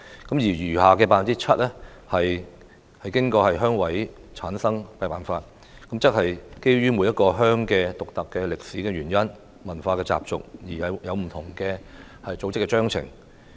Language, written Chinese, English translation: Cantonese, 至於餘下的 7%， 則是按照鄉事會委員的產生辦法選出，即基於每一個鄉村獨特的歷史原因、文化習俗而各有不同的組織章程。, As for the remaining 7 % of members they are chosen according to the selection method for RC members provided in the respective Constitutions drawn up on the basis of the unique historical background culture and customs of each village